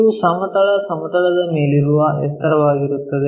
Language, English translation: Kannada, This is height above horizontal plane